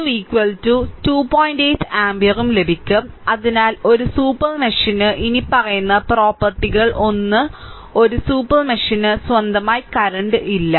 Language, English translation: Malayalam, 8 ampere, therefore, a super mesh has the following property, one is a super mesh has no current of its own right